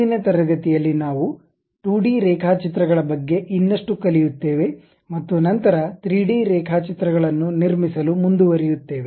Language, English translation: Kannada, In today's class, we will learn more about 2D sketches and then go ahead construct 3D sketches